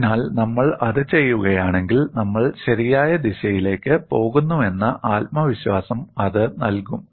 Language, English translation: Malayalam, So, if we do that, it would give us a confidence that we are proceeding in the right direction